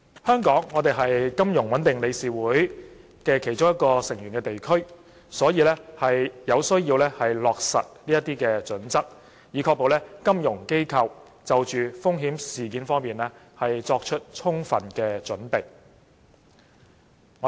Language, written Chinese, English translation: Cantonese, 香港是金融穩定理事會的一個成員地區，有需要落實這些準則，以確保本港金融機構對有關風險作充分準備。, As a member jurisdiction of FSB Hong Kong has to implement these standards to ensure that local FIs are sufficiently prepared to respond to risk events